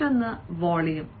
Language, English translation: Malayalam, again, the other thing is the volume